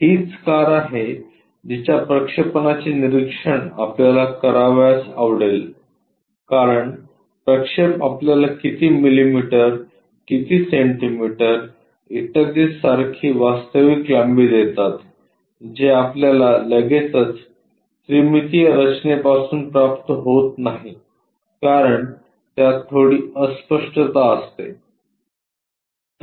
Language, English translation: Marathi, This is the car what we would like to observe having projections, because projections are the ones which gives you true lengths in terms of how many millimeters, how many centimeters and so on so things which we cannot straight away get it from three dimensional because there will be a bit obscures